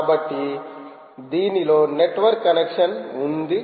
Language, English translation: Telugu, you need a network connection